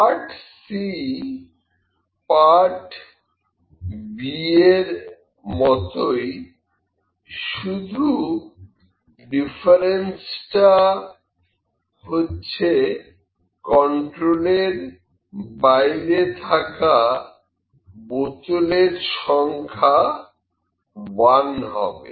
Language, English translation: Bengali, Now, the part c is the similar to part b but the only difference is that he says that bottle out of control will be exactly 1